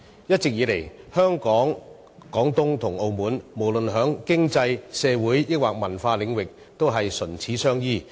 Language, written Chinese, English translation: Cantonese, 一直以來，香港、廣東和澳門無論在經濟、社會和文化領域上，也是唇齒相依。, Hong Kong Guangdong and Macao have long since been closely interdependent economically socially and culturally